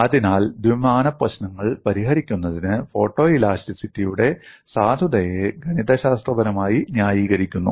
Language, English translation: Malayalam, So, this gives the mathematical justification of validity of photoelasticity for solving two dimensional problems